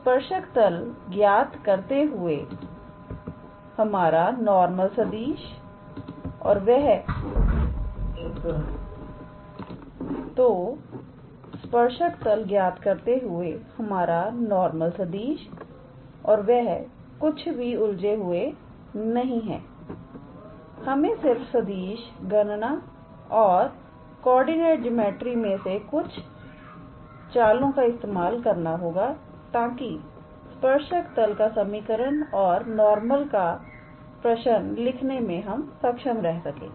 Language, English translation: Hindi, So, calculating this tangent plane our normal vector and those are not complicated, it is just that we have to use some tricks from vector calculation and also from coordinate geometry too, so that we can be able to write the equation of the tangent plane and the question of the normal